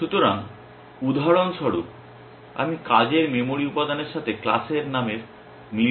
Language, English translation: Bengali, So, for example, I will match the class name with the working memory element that is one tests